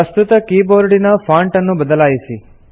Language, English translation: Kannada, Let us change the fonts in the existing keyboard